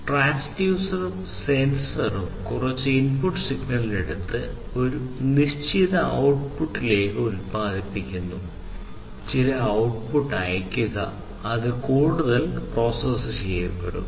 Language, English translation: Malayalam, So, as you can see over here this transducer and the sensor inside it take some input signal and produce a certain output, send certain output, which will be processed further